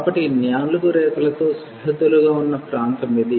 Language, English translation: Telugu, So, the region bounded by all these 4 curves is this one